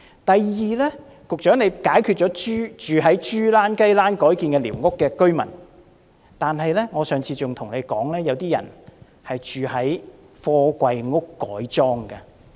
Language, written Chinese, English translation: Cantonese, 第二，局長，除了住在雞欄或豬欄改建的寮屋的居民，我上次還對局長說過，有些人住在貨櫃改裝的房子。, Secondly Secretary apart from residents living in squatter huts converted from chicken coops or pigsties I also spoke to you about people living in houses converted from containers on the last occasion